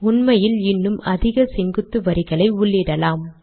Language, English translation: Tamil, As a matter of fact, we can put more vertical lines